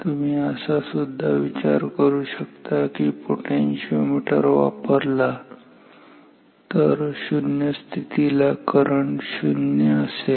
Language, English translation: Marathi, You can also think you can also use a potentiometer then this current at null condition will be 0